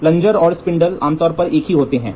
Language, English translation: Hindi, The plunger and the spindle are one piece